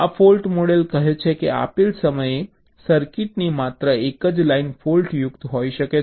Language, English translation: Gujarati, this fault model says that only one line of the circuit can be faulty at a given time